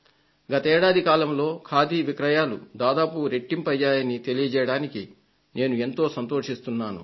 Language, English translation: Telugu, Today, I can say with great satisfaction that in the past one year the sales of Khadi have almost doubled